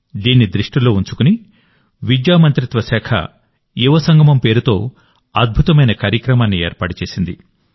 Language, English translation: Telugu, Keeping this in view, the Ministry of Education has taken an excellent initiative named 'Yuvasangam'